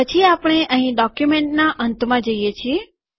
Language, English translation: Gujarati, Then we go to the end of the document here